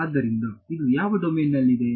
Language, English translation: Kannada, So, this is in which domain